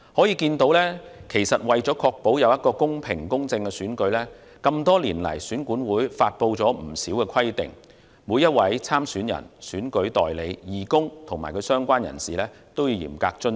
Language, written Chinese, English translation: Cantonese, 由此可見，為確保有一個公平和公正的選舉，選管會多年來發布了不少規定，每位參選人、選舉代理、義工及其他相關人士均須嚴格遵守。, It can thus be seen that in order to ensure the holding of fair and just elections EAC has promulgated many rules and regulations over the years which all candidates election agents volunteers and other relevant persons must strictly observe